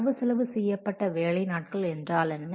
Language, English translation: Tamil, And then what is the budgeted work days